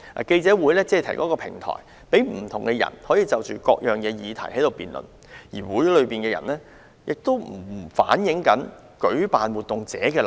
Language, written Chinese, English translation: Cantonese, 該會只提供一個平台，讓不同人士就各項議題辯論，而與會人士的意見並不反映活動舉辦者的立場。, The role of FCC is only to provide a platform for people to debate on different topics and the opinions of guests and speakers do not represent the stance of the event organizer